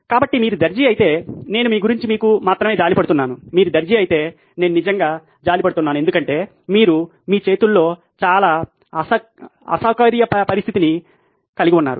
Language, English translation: Telugu, So in this if you are the tailor I only pity you, if you are the tailor, I really pity you because you are going to have a very uncomfortable situation in your hands